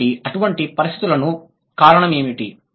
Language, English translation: Telugu, So, what could be the possible reason of such conditions